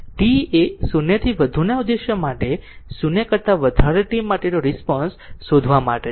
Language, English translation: Gujarati, For t greater than 0 your objective is to find out the response for t greater than 0